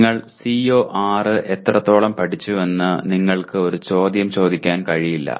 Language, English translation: Malayalam, You cannot ask a question to what extent have you learnt CO6